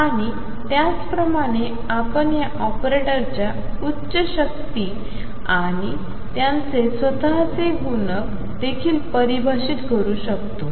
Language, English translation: Marathi, And similarly we can define higher powers of these operators and also their own multiplication